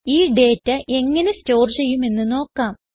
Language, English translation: Malayalam, Let us now see how to store this data